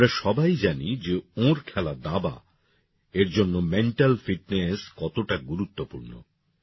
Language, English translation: Bengali, We all know how important mental fitness is for our game of 'Chess'